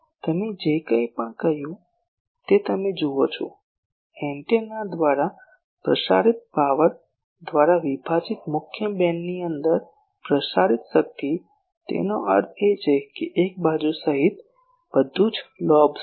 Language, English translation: Gujarati, You see whatever I said, the power transmitted within main beam divided by power transmitted by the antenna; that means, including a side, lobes etcetera everything